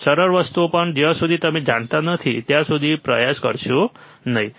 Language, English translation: Gujarati, Even simple things, do not try until you know, right